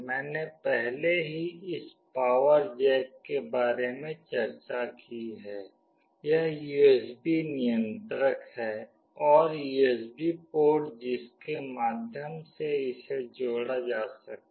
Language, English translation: Hindi, I have already discussed about this power jack, this is the USB controller, and USB port through which it can be connected